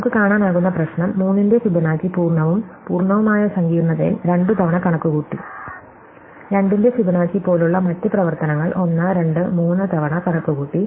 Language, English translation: Malayalam, So, the problem we can see is that functions that Fibonacci of 3 have been computed twice in full and full complexity, other functions like Fibonacci of 2 have been computed 1, 2, 3 times and so on